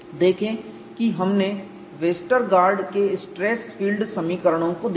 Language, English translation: Hindi, See we have looked at Westergaard stress field equations